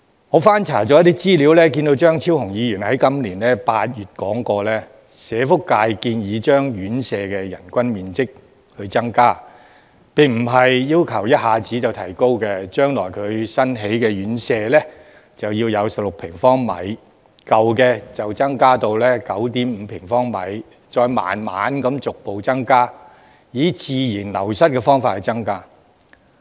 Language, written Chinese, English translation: Cantonese, 我翻查資料，看到張超雄議員在今年8月說過，社會福利界並非要求一下子增加院舍的人均樓面面積，而是建議將來新建的院舍要有16平方米，舊的應增至 9.5 平方米，再慢慢逐步以自然流失的方式增加。, According to the information I have looked up Dr Fernando CHEUNG said in August this year that the social welfare sector was not requesting a sudden increase of the area of floor space per nursing home resident . Instead the sector suggested that the minimum area of floor space per resident in newly constructed homes should be 16 sq m while that in existing homes should increase to 9.5 sq m and the relevant area should increase gradually through natural wastage